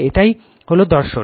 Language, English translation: Bengali, This is the philosophy